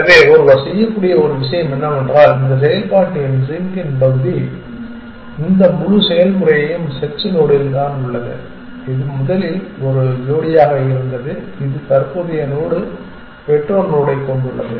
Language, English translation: Tamil, So, one thing that one can do is which part of operational zing is this whole process is at the search node which was originally a pair which has the current node the parent node